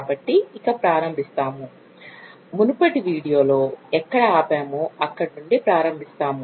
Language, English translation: Telugu, So, let us just take off, start from where we stopped in the previous video